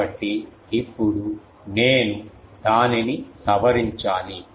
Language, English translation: Telugu, So, now, I need to then modify that